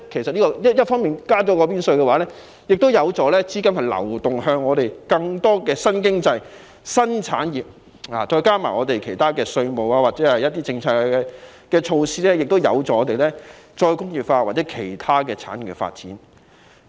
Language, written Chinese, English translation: Cantonese, 增加股票增值稅有助資金流向更多新經濟、新產業，再加上其他稅務或政策措施，亦有助我們再工業化或其他產業的發展。, Imposing additional stamp duty will facilitate the flow of funds to new industries . Coupled with other taxation or policy measures re - industrialization or the development of other industries will be promoted